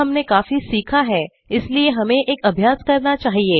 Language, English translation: Hindi, We have learnt quite a lot of things now, so let us take up an exercise